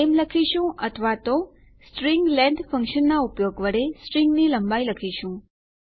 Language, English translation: Gujarati, We will say name or rather the length of the string using the string length function